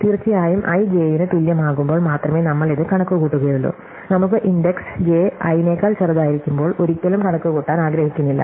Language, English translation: Malayalam, And of course, we will only compute this when i is less than equal to j, we will never be able to, we will never want to compute it when the index j is smaller than i